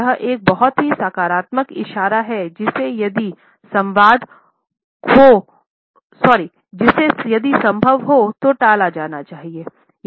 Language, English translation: Hindi, This is a very negative gesture that should be avoided if possible